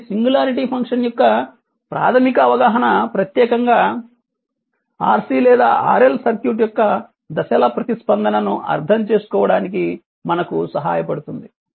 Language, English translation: Telugu, So, a basic understanding of the singularity function will help us to make sense of the response specially the step response of RC or RL circuit right